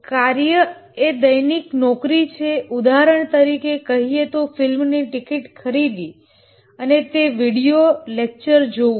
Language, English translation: Gujarati, For example, let's say buy a movie ticket or watch a video lecture